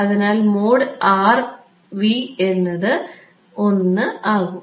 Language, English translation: Malayalam, So, that should be